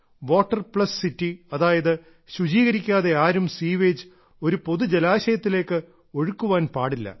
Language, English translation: Malayalam, 'Water Plus City' means a city where no sewage is dumped into any public water source without treatment